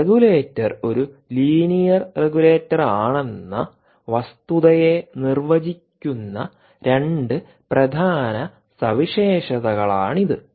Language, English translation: Malayalam, and, and these are two important features which basically define the fact that the regulator is a linear regulator